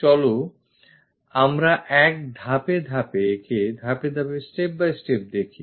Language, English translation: Bengali, Let us look at it step by step